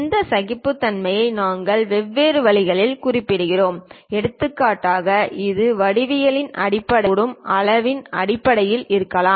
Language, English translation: Tamil, These tolerances we specify it in different ways for example, it can be based on size it can be based on geometry also